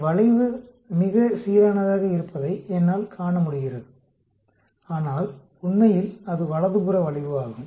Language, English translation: Tamil, I can see the curve becomes more uniformed but, originally it is right skewed